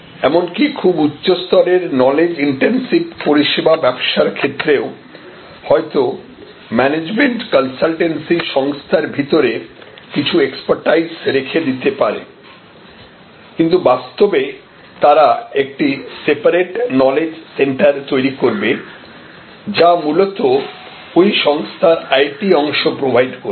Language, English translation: Bengali, So, even very high end knowledge intensive business services, while for management consultancy may retain certain centres of expertise within the organization, but quite likely may actually set up a separate knowledge centre which will provide fundamentally the IT part of that organization